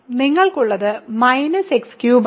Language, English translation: Malayalam, So, what you have is minus x cubed